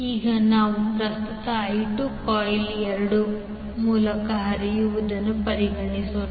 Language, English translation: Kannada, Now let us consider the current I 2 flows through coil 2